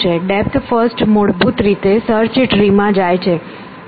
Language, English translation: Gujarati, Depth first basically dives into the search tree